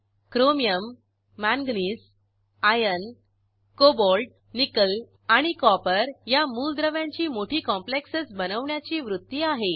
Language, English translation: Marathi, Elements Chromium, Manganese, Iron, Cobalt, Nickel and Copper have a tendency to form a large number of complexes